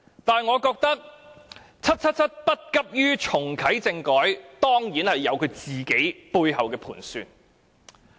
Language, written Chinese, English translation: Cantonese, 但是，我認為 "777" 不急於重啟政改，當然是有其背後的盤算。, However I consider that 777 saw no urgency in reactivating constitutional reform simply because she has her own calculations behind the scene